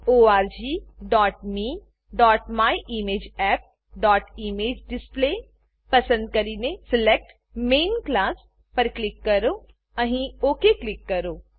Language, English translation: Gujarati, Select org.me.myimageapp.ImageDisplay and click on Select Main Class Say OK here